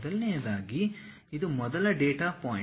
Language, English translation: Kannada, First of all this is the first data point